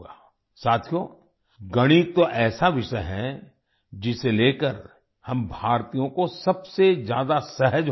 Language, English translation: Hindi, Friends, Mathematics is such a subject about which we Indians should be most comfortable